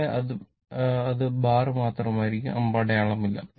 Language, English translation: Malayalam, Here, it will be bar only, no arrow right